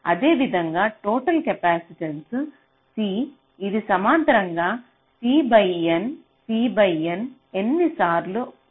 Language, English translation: Telugu, similarly, the total capacitance, c, this can appear as c by n, c by n, n times in parallel